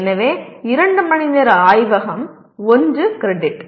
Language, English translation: Tamil, So 2 hours of laboratory constitutes 1 credit